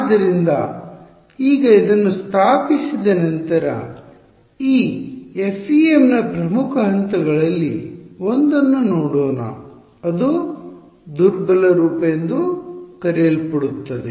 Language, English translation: Kannada, So, with now with this having being established let us look at one of the very key steps of this FEM which is converting to what is called a weak form